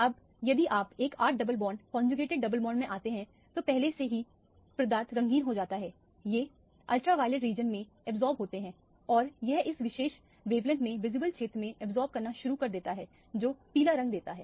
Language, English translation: Hindi, Now, if you come to an 8 double bond conjugated double bond, already the substance becomes colored these are observing in the ultraviolet region and it starts to absorb in the visible region at this particular wavelength which gives the yellow color